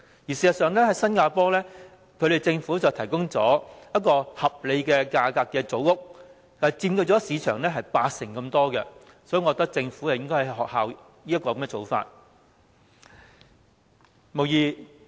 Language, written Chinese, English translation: Cantonese, 事實上，新加坡政府提供了合理價格的組屋，佔市場八成之多，我覺得政府應仿效這種做法。, In fact the Singaporean Government provides its people with reasonably - priced housing known as Housing and Development Board flats which takes up 80 % of the market share . I think the Government should follow suit